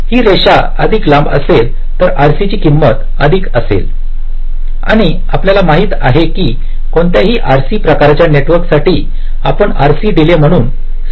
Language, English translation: Marathi, so longer the line, longer will be the values of rc and, as you know, for any rc kind of a network we refer to as it as rc delay